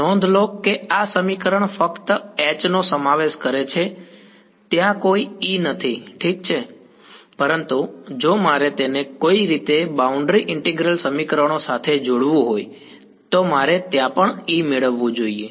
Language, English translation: Gujarati, Notice that this equation is consisting only of H there is no E over there ok, but if I want to link it with the boundary integral equations somehow I should also get E over there